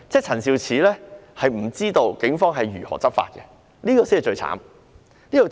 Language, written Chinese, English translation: Cantonese, 陳肇始局長不知道警方如何執法，這才是最糟糕的。, Secretary Prof Sophia CHAN does not know how the Police enforce the law which is the worst of all